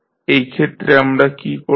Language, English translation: Bengali, So, what we are doing